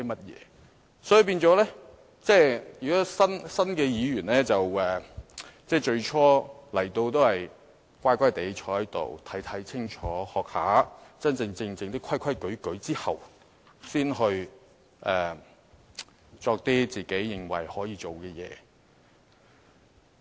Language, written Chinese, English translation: Cantonese, 因此，新的議員在最初進入議會時，應該乖乖地坐在席上看清楚情況、學習一下，在學會真正的規矩後，才去做一些個人認為可以做的事情。, For this reason when new Members initially join the legislature they should behave themselves make observations carefully and do a little learning while sitting squarely in their seats . After they have learnt the true ropes they can then do what they personally think can be done